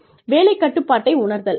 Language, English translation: Tamil, Perceived job control